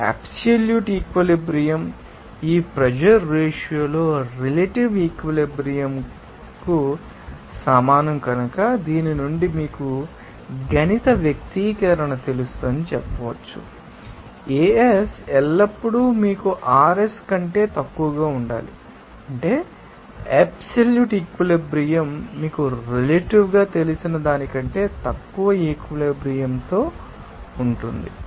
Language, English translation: Telugu, And you will see that here since absolute saturation is equals to relative saturation into this pressure ratio, we can say from this you know mathematical expression that AS always should be less than you know RS that means absolute saturation will be always less than you know relative saturation